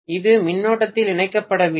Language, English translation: Tamil, It is not connected in current